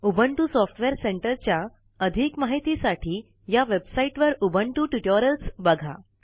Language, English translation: Marathi, For more information on Ubuntu Software Centre, please refer to the Ubuntu Linux Tutorials on this website